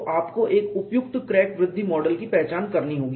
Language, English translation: Hindi, So, from that you can use a suitable crack growth model